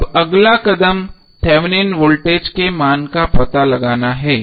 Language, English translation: Hindi, Now next step is finding out the value of Thevenin Voltage